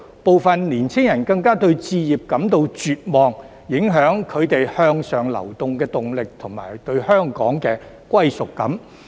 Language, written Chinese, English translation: Cantonese, 部分青年人更對置業感到絕望，影響他們向上流的動力及對香港的歸屬感。, Some young people even feel desperate about home ownership which affects their motivation to move upward and their sense of belonging to Hong Kong